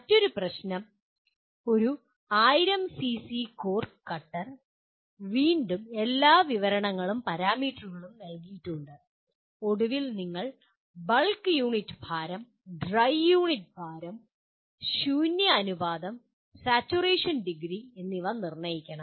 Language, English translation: Malayalam, Another problem: A 1000 cc core cutter, again with all descriptions or parameters that are given and finally you have to determine bulk unit weight, dry unit weight, void ratio and degree of saturation